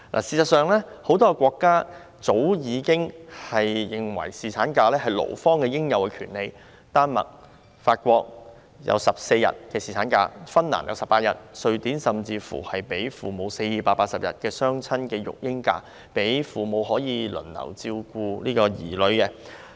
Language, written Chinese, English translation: Cantonese, 事實上，很多國家早已承認侍產假是勞方的應有權利，丹麥、法國設定14天侍產假，芬蘭則設定18天，而瑞典甚至給予父母480天的雙親育嬰假，讓父母可以輪替地照顧子女。, In fact many countries have long recognized paternity leave as a labour right . Denmark and France have introduced paternity leave of 14 days Finland 18 days and Sweden even grants parents 480 days of parental leave so that they can take care of their children in turns